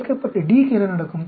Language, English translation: Tamil, What will happen to D involved